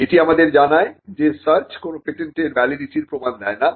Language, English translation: Bengali, This tells us that the search does not warrant the validity of a patent